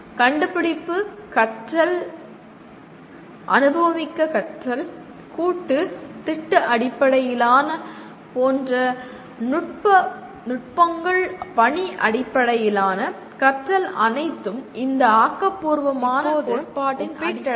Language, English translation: Tamil, Techniques like discovery learning, hands on learning, experiential, collaborative, project based, task based learning are all based on this theory of constructivism